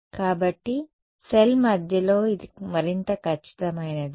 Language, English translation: Telugu, So, its more accurate in the middle of the cell